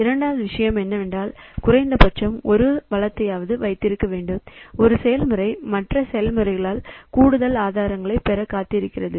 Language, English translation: Tamil, A process holding at least one resource is waiting to acquire additional resources held by other processes